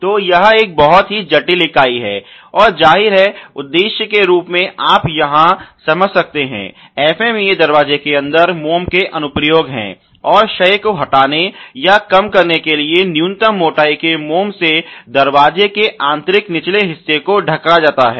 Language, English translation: Hindi, So, it is a very, very complex unit and; obviously, the purpose as you can understand here in the FMEA is the application of wax inside the door and to cover the inner door lower surfaces at minimum wax thickness to retire the coregent